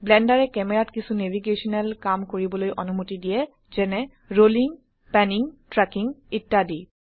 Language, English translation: Assamese, Blender also allows you to perform a few navigational actions on the camera, such as rolling, panning, tracking etc